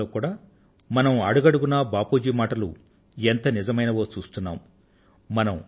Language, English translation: Telugu, At present we witness at every step how accurate Bapus words were